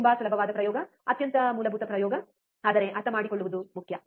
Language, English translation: Kannada, Very easy experiment, extremely basic experiment, but important to understand